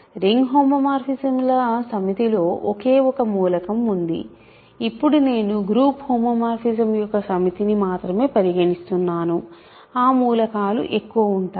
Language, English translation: Telugu, There is only one element in the set of ring homomorphisms, now I am considering only the set of group homomorphism; so, they are more elements